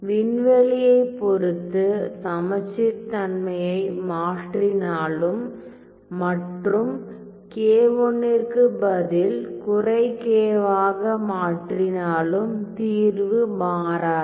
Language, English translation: Tamil, The symmetry is with respect to k here if I replace well the symmetries with respect to the space if I replace k 1 by minus k the solution does not change